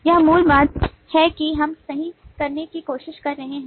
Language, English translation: Hindi, right, that is the basic thing that we are trying to do